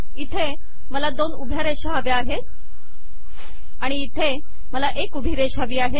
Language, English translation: Marathi, Here I want two vertical lines, here I want 1 vertical line